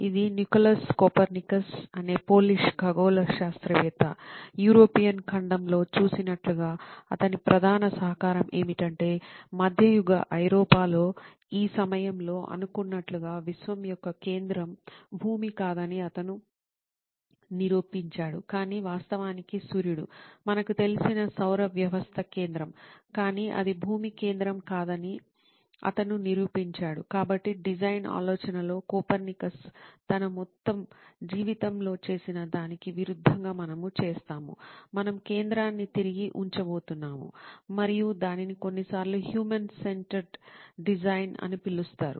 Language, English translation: Telugu, This is a Polish astronomer by the name Nicolas Copernicus, his main contribution as seen in the European continent was that he proved that the centre of the universe is not Earth as it was thought at the time in mediaeval Europe, but is actually the Sun, the solar system centre as we know it, but he proved that it is Earth is not the centre, so, but in design thinking, we do the opposite of what Copernicus did in his entire life, we are going to put the centre back on us and that is what is sometimes referred to as human centred design